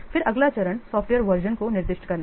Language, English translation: Hindi, Then the next is how to identify the software